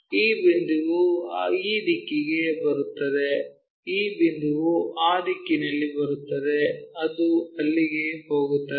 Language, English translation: Kannada, So, that this point comes this direction this point comes in that direction this one goes there